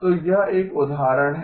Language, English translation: Hindi, So this is an example